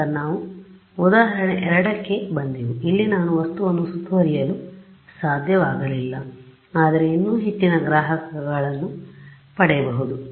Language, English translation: Kannada, Then we came to example 2 where I could not surround the object, but still I could would more receivers